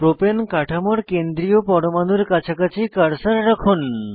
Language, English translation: Bengali, Place the cursor near the central atom of Propane structure